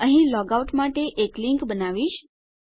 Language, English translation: Gujarati, Here Ill create a link to log out